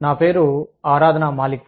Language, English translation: Telugu, I am Aradhna Malik